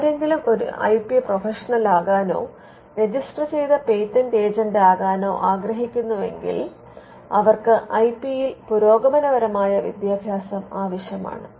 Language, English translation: Malayalam, Now, if somebody wants to become an IP professional or even become a registered patent agent they would require advanced education in IP